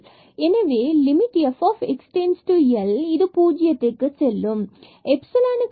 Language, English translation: Tamil, So, since the limit f x goes to L so, this will go to 0